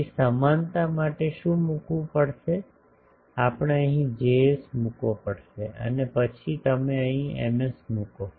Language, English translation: Gujarati, So, for equivalence what will have to put, we will have to put a Js here and then you Ms here